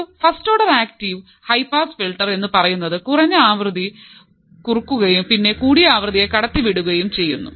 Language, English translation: Malayalam, So, a first order active high pass filter as the name implies attenuates low frequencies and passes high frequency signal correct